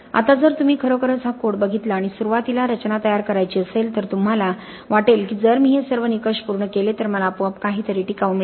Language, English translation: Marathi, Now if you really look at this code and want to design a structure in the beginning you may think that okay if I satisfy all these criteria I will automatically get something which is durable